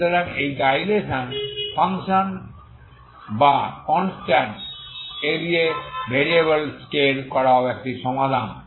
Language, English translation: Bengali, So this is the dilation function or scaling scaling these variables with the constant a is also a solution